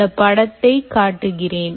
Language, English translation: Tamil, let me show you this picture